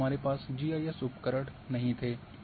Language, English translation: Hindi, Then we did not have this GIS tools